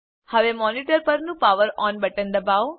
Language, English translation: Gujarati, Now, press the POWER ON button on the monitor